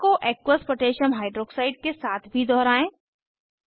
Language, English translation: Hindi, Lets repeat the process for Aqueous Potassium Hydroxide(Aq.KOH)